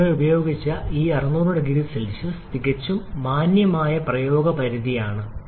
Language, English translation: Malayalam, The 600 degree Celsius which we have used here is a quite decent practical limit